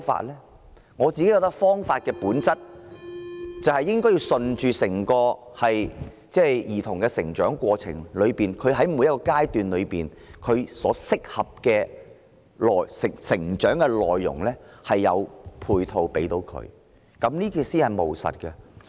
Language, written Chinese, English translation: Cantonese, 以我之見，方法是順應兒童的成長過程，根據每個階段適合他們的成長內容，為他們提供配套，這才是務實的做法。, In my opinion the most practical approach is to let children learn things that suit their natural development at each stage and provide them with supporting measures